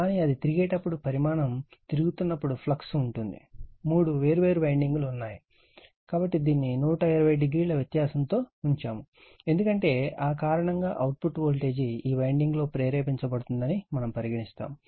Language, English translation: Telugu, But, as it is revolving the magnitude is revolving there will be flux that there your what we call in this your three different winding, so which are placed 120 degree apart right, because of that output that your what we call the voltage will be induced in this winding